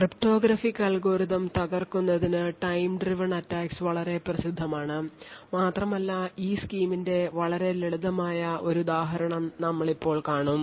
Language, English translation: Malayalam, So, these time driven attacks are especially popular for breaking cryptographic algorithms and we will take one very simple example of this scheme